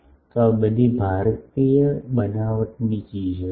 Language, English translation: Gujarati, So, these are all Indian made things